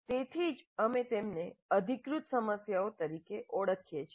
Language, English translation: Gujarati, That's why we call them as authentic problems